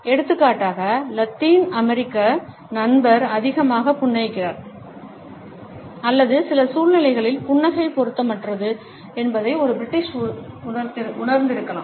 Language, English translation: Tamil, For example, a British may miss perceived that the Latin American friend is smiling too much or that the smile is inappropriate in certain situations